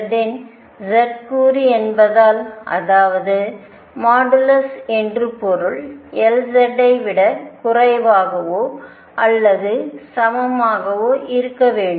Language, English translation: Tamil, Since L z is z component of L it means that modulus L z has to be less than or equal to L